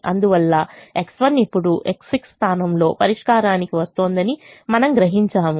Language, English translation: Telugu, therefore you realize x one as now coming to the solution, in the place of x six